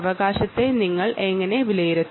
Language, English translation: Malayalam, how do you evaluate that